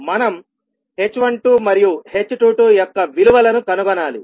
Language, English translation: Telugu, We need to find out the values of h12 and h22